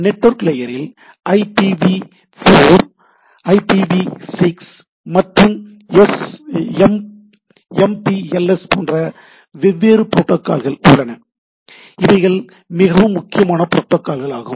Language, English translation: Tamil, Then at the network layer we have different protocols like IPv4, IPv6, MPLS; these are the very prominent protocols